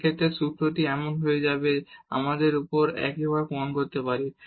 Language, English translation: Bengali, In that case the formula will become that so, we can prove similarly as above